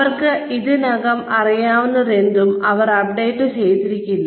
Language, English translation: Malayalam, They may not be updated with, whatever they know already